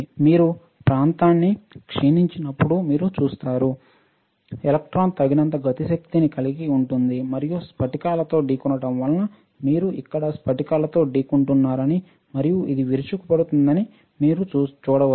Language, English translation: Telugu, You see when you deplete the region, the electron would have enough kinetic energy and collide with crystals as you can see it is colliding here with crystals and this lurching the electrons further electrons right and forms additional electron hole pair